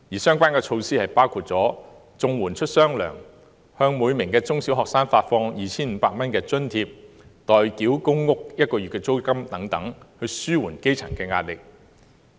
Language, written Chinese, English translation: Cantonese, 相關措施包括綜合社會保障援助出"雙糧"、向每名中小學生發放 2,500 元津貼、代繳公屋租金1個月等，以紓緩基層的壓力。, The relevant measures include double payment for Comprehensive Social Security Assistance recipients a subsidy for primary and secondary students at 2,500 per head and paying one months rent for public housing tenants so as to alleviate the pressure on the grass roots